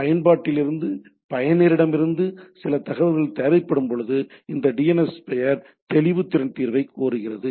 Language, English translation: Tamil, When application needs some information from the user, it invokes DNS name resolution resolver